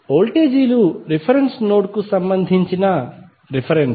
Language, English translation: Telugu, The voltages are reference with respect to the reference node